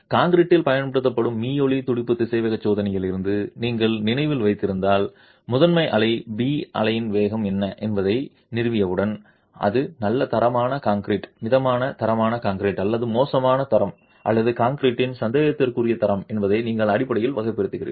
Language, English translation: Tamil, If you remember from ultrasonic pulse velocity tests used in concrete, once you establish what the velocity of the primary wave, P wave is, you basically classify whether that is good quality concrete, moderate quality concrete or poor quality or doubtful quality of concrete